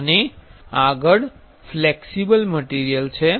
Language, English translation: Gujarati, And next is flexible materials